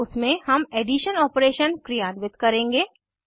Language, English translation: Hindi, In this we will perform addition operation